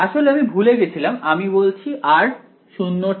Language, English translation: Bengali, actually I forgot one think I am saying r greater than 0